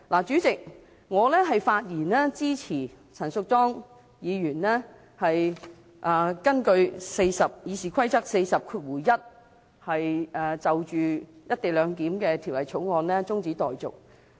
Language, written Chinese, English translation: Cantonese, 主席，我發言支持陳淑莊議員根據《議事規則》第401條，就《條例草案》提出中止待續議案。, President I speak in support of Ms Tanya CHANs motion to adjourn the debate on the Bill according to Rule 401 of the Rules of Procedure